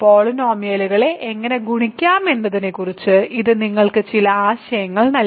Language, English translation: Malayalam, So, hopefully this gave you some idea of how to multiply polynomials ok